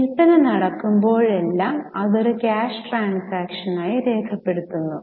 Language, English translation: Malayalam, Whenever sale happens, the person records it as a cash sale